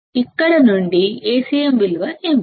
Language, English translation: Telugu, From here what is the value of Acm